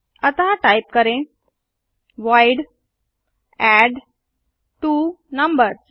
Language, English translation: Hindi, So type void addTwoNumbers